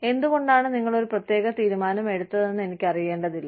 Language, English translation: Malayalam, I do not need to know, why you made a particular decision